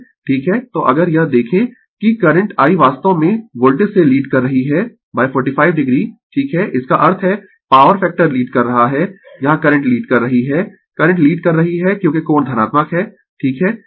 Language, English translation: Hindi, So, if you look into that that current I actually leading the voltage by 45 degree right; that means, power factor is leading current here is leading current is leading because the angle is positive right